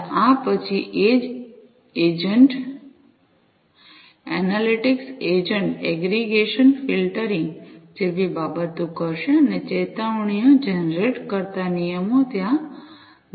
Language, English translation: Gujarati, There after this edge agent analytics agent will do things like aggregation filtering applying the rules generating alerts and so on